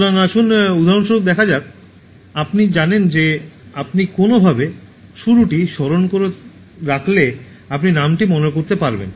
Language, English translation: Bengali, So, let us like look at an example for instance, you know that you will get the name if you somehow recollect the beginning